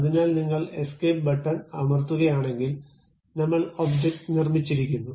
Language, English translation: Malayalam, So, if you are pressing escape, the object has been constructed